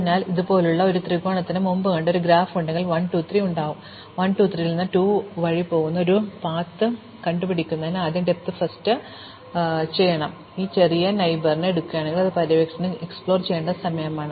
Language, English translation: Malayalam, So, if we have a graph as we saw before a triangle like this where we have 1, 2, and 3; then what depth first search will do it will find a path from 1 to 3 which goes via 2, if we take this smallest neighbor each time to explore